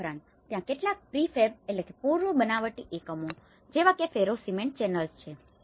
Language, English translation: Gujarati, Also, there has been some prefab units such as Ferro Cement Channels